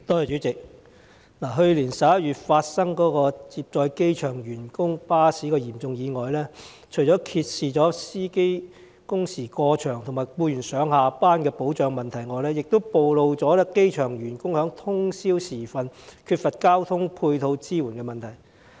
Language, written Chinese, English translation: Cantonese, 主席，去年11月發生涉及接載機場員工巴士的嚴重意外，除揭示司機工時過長和僱員上下班的保障問題外，也暴露了機場員工在通宵時分缺乏交通配套支援的問題。, President the serious accident involving a coach with airport employees on board in November last year has not only revealed the overly long working hours of such drivers and problems with the protection of commuting employees but also exposed the lack of ancillary transport services and support for airport employees during the small hours